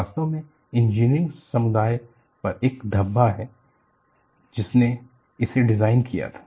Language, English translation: Hindi, It is really a sort of a blot on the engineering community which designed it